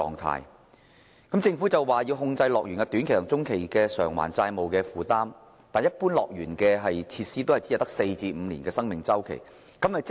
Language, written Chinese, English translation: Cantonese, 雖然政府表示要控制樂園短期及中期的債務負擔，但樂園設施的使用周期一般只有4至5年。, Although the Government has indicated its intention to control the short - and medium - term debt burden of HKDL the facilities of HKDL usually have a life cycle of only four to five years